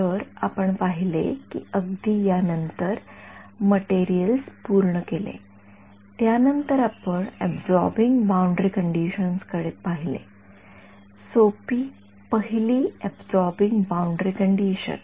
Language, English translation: Marathi, So, we saw that exactly then after that we looked at materials are done, then we looked at absorbing boundary conditions; simple first order absorbing boundary condition right so, absorbing